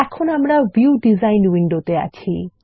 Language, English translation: Bengali, Now, we are in the View design window